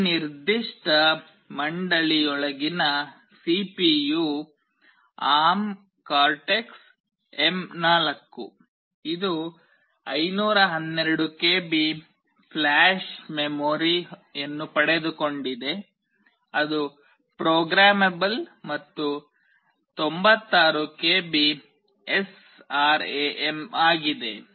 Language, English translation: Kannada, The CPU inside this particular board is ARM Cortex M4; it has got 512 KB of flash memory that is programmable and 96 KB of SRAM